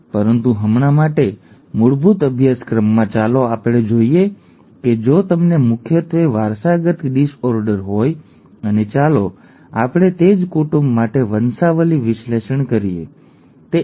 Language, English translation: Gujarati, But for now, basic course let us look at what happens if you have a dominantly inherited disorder and let us do a pedigree analysis for the very same family, okay